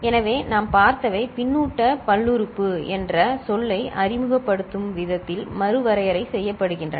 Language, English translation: Tamil, So, what we have seen that is redefined in a manner by which we introduce the term feedback polynomial